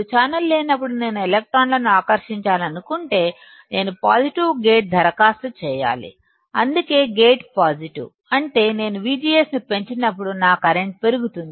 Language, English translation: Telugu, When there is no channel, if I want to attract electron; I have to apply positive gate that is why gate is positive; that means, when I increase V G S my current will start increasing